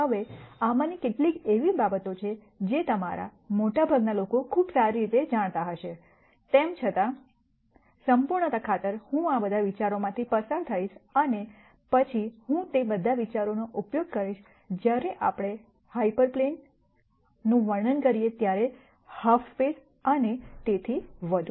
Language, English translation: Gujarati, Now, some of these are things that would be very well known to most of you nonetheless, for the sake of completeness, I will go through all of these ideas and then I will use all of those ideas, when we describe hyper planes, half spaces and so on